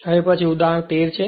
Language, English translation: Gujarati, Now, next one is that this is the example 13